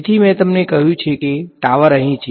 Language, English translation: Gujarati, So, I have told you that tower is here